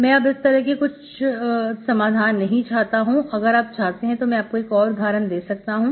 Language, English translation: Hindi, Now I do not want this trivial solution, if you want, I can give you another example, okay